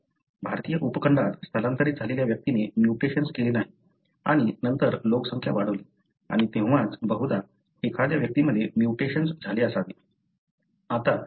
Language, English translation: Marathi, The individual who migrated to the Indian subcontinent did not carry the mutation and then the population grew and that is when somebody probably, , had a mutation